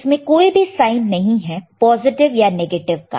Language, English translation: Hindi, Can you see any positive negative sign